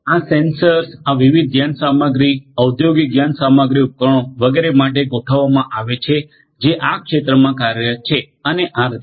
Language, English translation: Gujarati, These sensors fitted to this different machinery, industrial machinery devices etcetera which are working in the field and so on